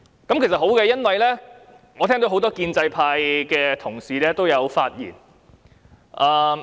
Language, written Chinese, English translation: Cantonese, 這其實是好的，因為我聽到很多建制派同事也有發言。, This is actually good for I have heard the speeches given by many pro - establishment Members